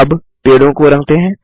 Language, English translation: Hindi, Now, let us color the trees